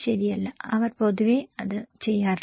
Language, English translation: Malayalam, No right, they generally don’t do it